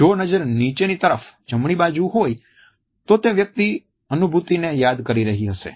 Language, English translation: Gujarati, If the gaze is down towards a right hand side the person might be recalling a feeling